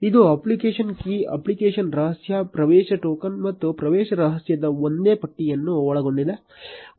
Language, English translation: Kannada, It contains the same list of app key, app secret, access token and access secret